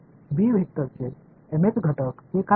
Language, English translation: Marathi, The mth elements of the vector b